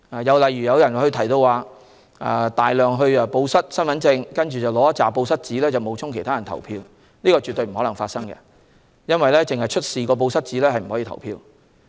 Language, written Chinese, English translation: Cantonese, 至於報失大量身份證，然後領取大量"報失紙"來冒充他人投票，這是絕不可能發生的事情，因為選民只出示"報失紙"是不能投票的。, Rumour has it that a lot of people will report loss of identity card and impersonators will then apply for ballot papers in the name of another person with a memo of lost property . This situation definitely will not happen because electors cannot vote by only producing the memo of lost property